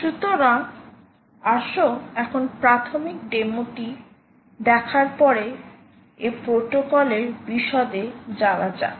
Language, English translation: Bengali, so let us now go into the details of this protocol, after having had looked at initial demo